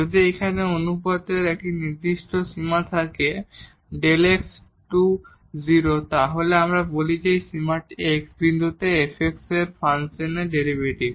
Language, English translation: Bengali, So, that limit here when we take the limit delta x goes to 0, if this limit exists we call that this value is the derivative of the function f x